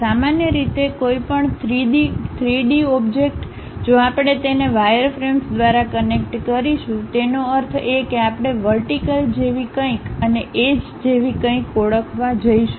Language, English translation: Gujarati, Usually any three dimensional object, if we are going to connect it by wireframes; that means, we are going to identify something like vertices and something like edges